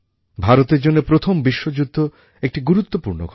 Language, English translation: Bengali, For India, World War I was an important event